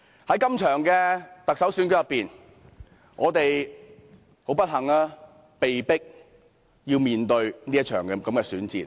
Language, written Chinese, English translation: Cantonese, 在這次特首選舉中，我們不幸地被迫面對這場選戰。, We are unfortunately forced to participate in this Chief Executive election